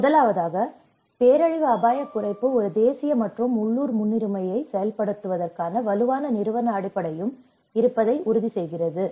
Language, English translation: Tamil, The first point talks about ensure that disaster risk reduction is a national and the local priority with a strong institutional basis for implementation